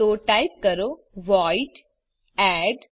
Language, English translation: Gujarati, So type void add